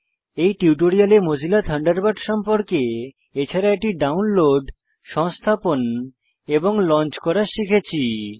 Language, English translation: Bengali, In this tutorial we learnt about Mozilla Thunderbird and how to download, install and launch Thunderbird